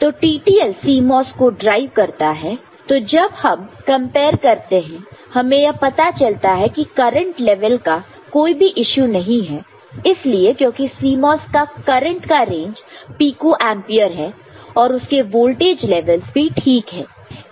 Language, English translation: Hindi, So, TTL drives CMOS, when you compare you find that no issue with the current level because the CMOS because very less current of the order of pico ampere and voltage levels are also fine